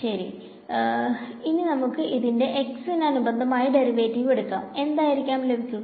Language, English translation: Malayalam, So, let us take the derivative of this with respect to x what will I get